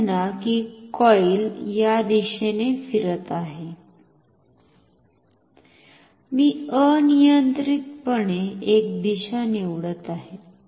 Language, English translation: Marathi, Say the coil is rotating in this direction; I am just choosing a direction arbitrarily